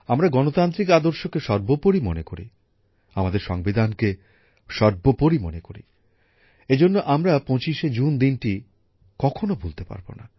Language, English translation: Bengali, We consider our democratic ideals as paramount, we consider our Constitution as Supreme… therefore, we can never forget June the 25th